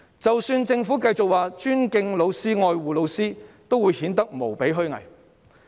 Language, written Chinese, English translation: Cantonese, 即使政府繼續表示尊敬老師及愛護老師，也只顯得無比虛偽。, Even though the Government continues to talk about respect and care for teachers it just sounds grossly hypocritical